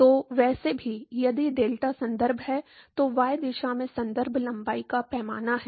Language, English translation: Hindi, So, anyway, if delta is the reference that is the reference length scale in y direction